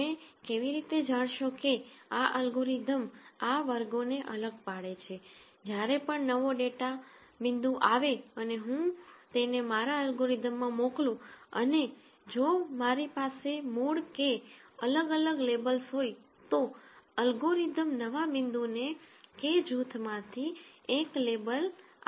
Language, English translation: Gujarati, Whenever a new data point comes if I send it through my algorithm and if I originally had K different labels the algorithm should label the new point into one of the K groups